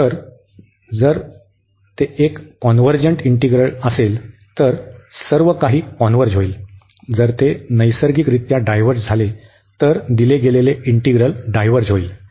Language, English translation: Marathi, So, if it is a convergent integral, then everything will converge; if it diverges naturally, the given integral will diverge